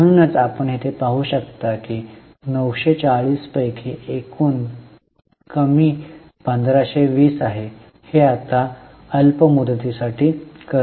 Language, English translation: Marathi, That is why you can see here total reduction is 1520 of that 974 is now a short term borrowing